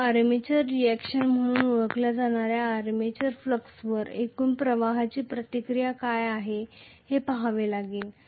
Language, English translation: Marathi, So, we will have to look at what is the reaction of the overall flux to the armature flux that is known as armature reaction